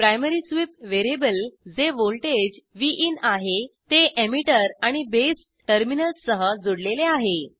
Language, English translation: Marathi, Primary sweep variable is voltage Vin connected between emitter and base terminals